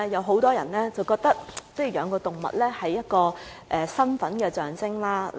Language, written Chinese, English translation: Cantonese, 很多人覺得飼養動物是一個身份象徵。, Many people think that keeping animals is a status symbol